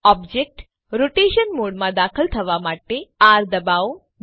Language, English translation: Gujarati, Press R to enter the object rotation mode